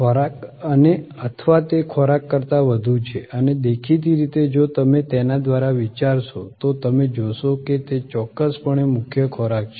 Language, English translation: Gujarati, Food and or is it more than food and obviously, if you think through you will see, that it is a food is definitely the core